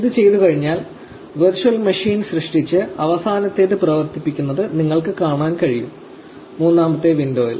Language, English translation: Malayalam, Now, once this is done you can see the virtual machine created and powered off the last; the third one in the window